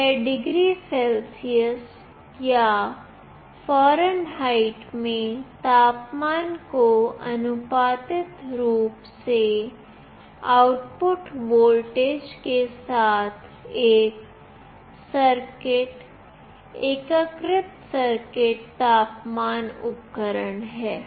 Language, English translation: Hindi, This is a precision integrated circuit temperature device with an output voltage linearly proportional to the temperature in degree Celsius or Fahrenheit